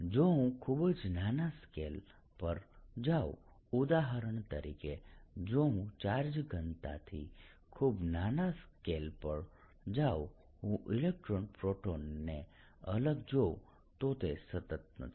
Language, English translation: Gujarati, however, if i go to microscopic scale, right, for example, if i go in charge density to very small scale, i see electrons, protons separately